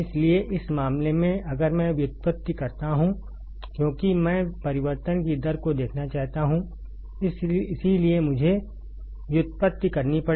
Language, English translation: Hindi, So, in this case if I do the derivation because I want to see the rate of change that is why I had to do derivation